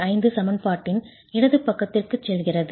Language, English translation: Tamil, 25 goes to the left hand side of the equation